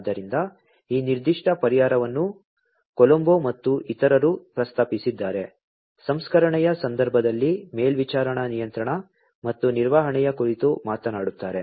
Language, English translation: Kannada, So, this particular solution was proposed by Colombo et al, talks about supervisory control and management in the context of processing